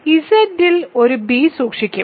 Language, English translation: Malayalam, I will keep a b in Z again ok